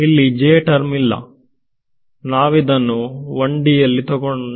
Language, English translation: Kannada, There is no j let us make it 1 d